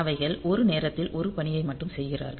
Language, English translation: Tamil, So, they are doing only 1 task at a time